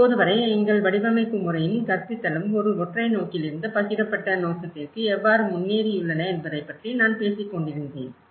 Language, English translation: Tamil, That is what till now, I was talking about how our design methodology and the teaching has been progressed from a singular vision to a shared vision